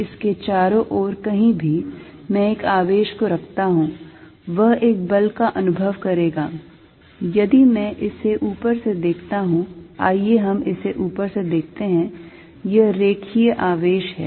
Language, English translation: Hindi, So, anywhere around it, I put a charger experiences is a force, if I look at it from the top, let us look at it top, this is the line charge